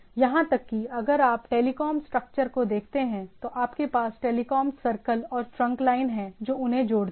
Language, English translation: Hindi, Even if you see the telecom type of structure you have telecom circles etcetera, then you have the trunk line which connects them